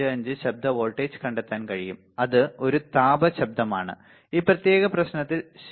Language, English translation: Malayalam, 455 right that is a thermal noise that is generated because in this particular problem ok